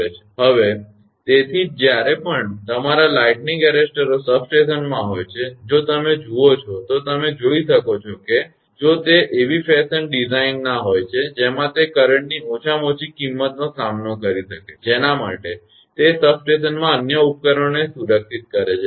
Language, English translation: Gujarati, So, that is why that whenever your lightning arrestors are there in substation; if you go, you can see that if it is a design in such a fashion such that it can encounter a minimum amount of current for which it protects the other equipment in the substation